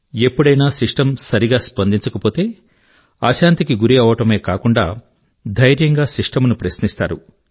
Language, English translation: Telugu, And in the event of the system not responding properly, they get restless and even courageously question the system itself